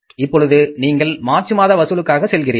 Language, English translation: Tamil, Now you go for the March collections